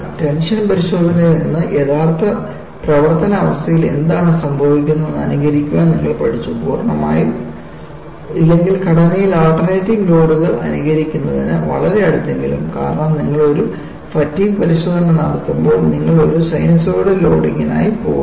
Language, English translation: Malayalam, From tension test, you have graduated to simulate what happens in actual service condition, if not completely, at least very close to simulating alternating loads on the structure, because when you do a fatigue test, you go for a sinusoidal loading